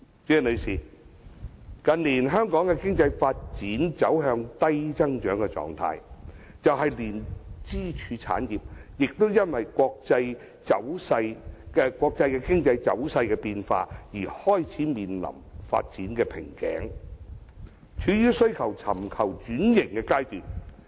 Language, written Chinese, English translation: Cantonese, 代理主席，近年香港經濟發展走向低增長狀態，連支柱產業亦因國際經濟走勢變化而開始面臨發展瓶頸，處於須尋求轉型的階段。, Deputy President Hong Kongs economic growth has been slow in recent years and even the pillar industries affected by the changing global economic trend are facing a development bottleneck and are in need of transformation